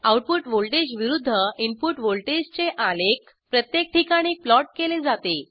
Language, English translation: Marathi, Graphs of output voltage versus input voltage is plotted in each case